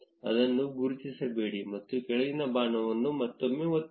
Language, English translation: Kannada, Uncheck that and press the down arrow again